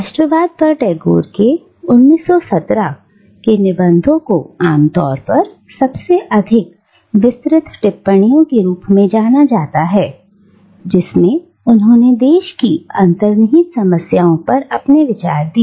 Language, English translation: Hindi, The 1917 essays on Nationalism are generally considered as among the most elaborate commentaries by this later Tagore, this post 1907 Tagore, on the idea of nation and its inherent problems